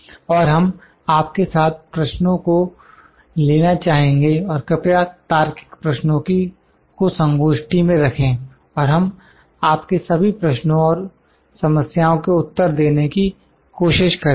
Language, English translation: Hindi, And we will like to have the questions with you and please put the logical questions in the forum and will try to answer all your questions and your queries